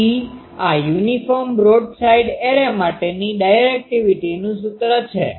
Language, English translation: Gujarati, So, this is the expression of the directivity for an uniform broadside array